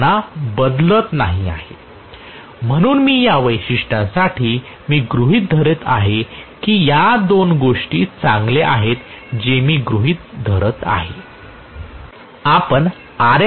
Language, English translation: Marathi, I am not changing them so I am assuming for these characteristics, these two hold good that is what I am assuming